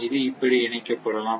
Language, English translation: Tamil, It may be connected like this